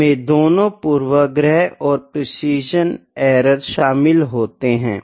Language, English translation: Hindi, So, it includes both bias and precision errors